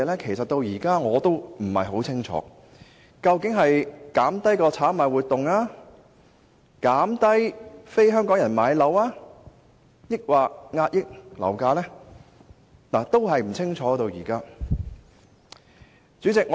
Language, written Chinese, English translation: Cantonese, 其實，我至今仍不清楚：究竟是打擊炒賣活動、減少非香港人買樓的情況，還是遏抑樓價？, Honestly I am still unsure about it even to this date . Is it meant to curb speculative activities dampen the interest of property acquisition by non - Hong Kong people or suppress property prices?